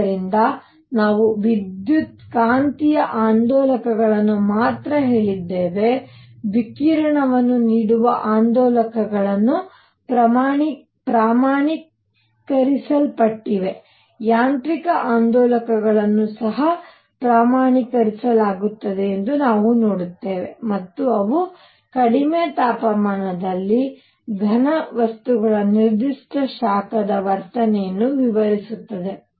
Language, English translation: Kannada, So, far we have said only electromagnetic oscillators, those oscillators that are giving out radiation are quantized, we will see that mechanical oscillators will also be quantized and they explain the behavior of specific heat of solids at low temperatures